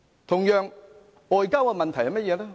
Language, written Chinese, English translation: Cantonese, 同樣，外交問題是甚麼呢？, Likewise what about the issues concerning foreign affairs?